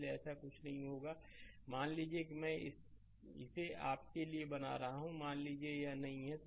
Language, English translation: Hindi, So, nothing will be there say suppose I am making it for you suppose it is not there